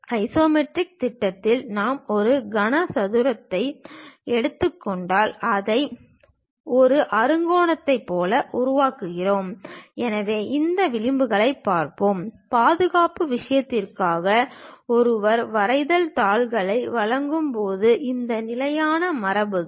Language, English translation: Tamil, If we are taking a cube in the isometric projection, we sense it like an hexagon; so, let us look at these edges; these are the standard conventions when one supplies drawing sheets for the protection thing